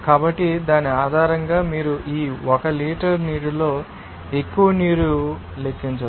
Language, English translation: Telugu, So, based on that you can calculate what should be the most of water in this 1 liter of water